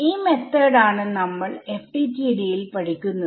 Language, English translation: Malayalam, So, I mean this method that we are studying is FDTD right